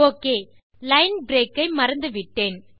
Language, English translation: Tamil, O.K., I forgot the line break